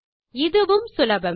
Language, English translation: Tamil, This is easy too